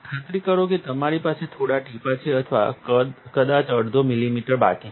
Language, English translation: Gujarati, Make sure that you have a couple of drops or maybe even half a milliliter left